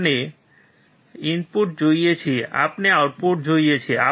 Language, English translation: Gujarati, We see input; we see output